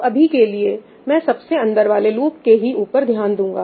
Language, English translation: Hindi, So, let me just concentrate on the innermost loop